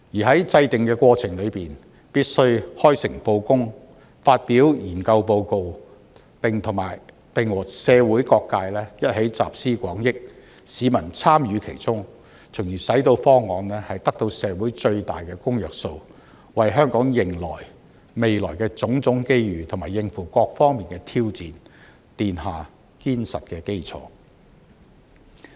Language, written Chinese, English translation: Cantonese, 在制訂的過程中，必須開誠布公，發表研究報告，並與社會各界一起集思廣益，讓市民參與其中，從而使到方案得到社會最大的公約數，為香港迎接未來的種種機遇，以及應付各方面的挑戰，奠下堅實的基礎。, The process of formulation must be open and carried out in a sincere manner whereas the study report must be published . It should draw on the collective wisdom of various sectors of society and allow public engagement so that the proposals will achieve the highest common factor in society laying a solid foundation for Hong Kong to meet the various opportunities in the future and rise up to the challenges on all fronts